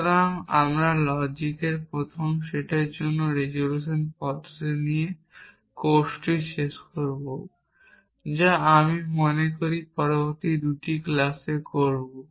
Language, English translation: Bengali, So, we will end the course with resolution method for first set of logic, which is in the next two classes I think